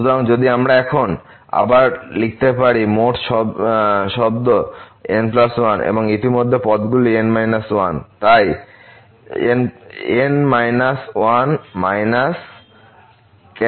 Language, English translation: Bengali, So, if we can re write now the total term plus 1 and already these terms are n minus 1; so plus 1 minus minus 1